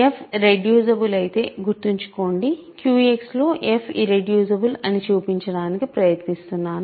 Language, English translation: Telugu, If f is reducible, remember, I am trying to show that f is irreducible in Q X